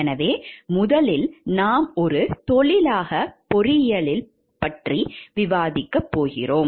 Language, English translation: Tamil, So, first we are going to discuss about the engineering as a profession